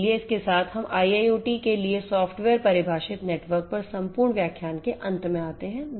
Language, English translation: Hindi, So, with this we come to an end of the entire lectures on software defined networks for a IIoT